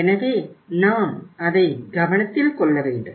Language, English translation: Tamil, So we have to take care of it